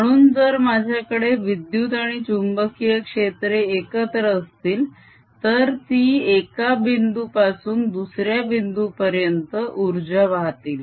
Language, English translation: Marathi, so if i have magnetic and electric field together, they transport energy from one point to the other